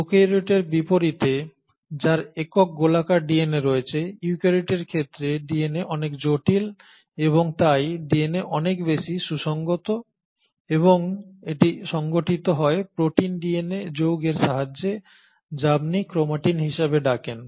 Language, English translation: Bengali, So unlike prokaryotes which have single circular DNA, here in case of eukaryotes the DNA is much more complex and hence the DNA is much better organised and it is organised with the help of protein DNA complex which is what you call as the chromatin